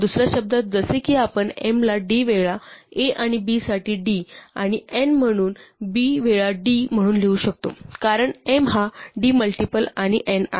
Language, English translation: Marathi, In other words like before we can write m itself as a times d and n as b times d for some numbers a and b, because m is is multiple of d and so is n